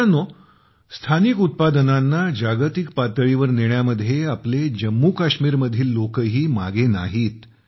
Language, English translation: Marathi, Friends, the people of Jammu and Kashmir are also not lagging behind in making local products global